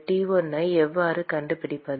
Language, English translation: Tamil, How do we find T1